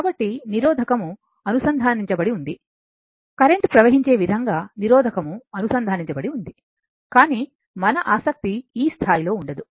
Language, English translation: Telugu, So, some resistance corrected resistance is connected such that your current will flow right, but we will we have our interest is not like that at the at this level